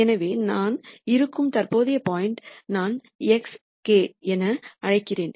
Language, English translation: Tamil, So, the current point that I am at is what I would call as x k